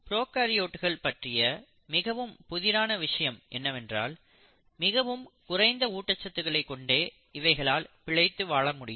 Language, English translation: Tamil, And the other most intriguing feature of prokaryotes are they can survive in any form of minimal nutrients